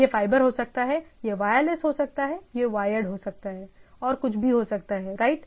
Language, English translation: Hindi, It can be fiber, it can be wireless, it can be wired and anything, right